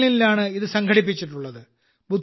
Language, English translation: Malayalam, It was organized in Berlin